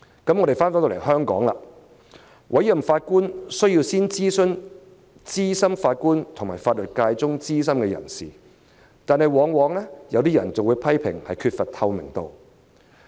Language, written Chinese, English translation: Cantonese, 至於香港，委任法官前需要先諮詢資深法官和法律界中的資深人士，有些人會批評當中缺乏透明度。, As for Hong Kong before appointing a judge the authorities must first consult senior judges and senior members of the legal profession . Some would criticize the lack of transparency during the process